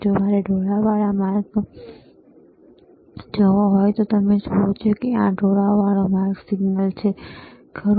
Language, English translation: Gujarati, If I want to see a ramp, then you see this is a ramp signal, right